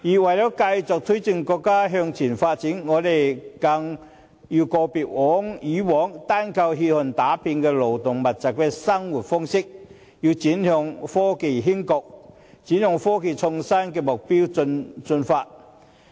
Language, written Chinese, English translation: Cantonese, 為了繼續推進國家向前發展，我們更要告別以往單靠血汗打拼的勞動密集的生產模式，而轉向科技興國，轉向科技創新的目標進發。, Yet to sustain the momentum of progress we must say goodbye to the old mode of labour - intensive production based largely on workers sweat and toil . Instead we must switch to the direction of achieving national progress through technological development and seek to attain the objective of developing innovation and technology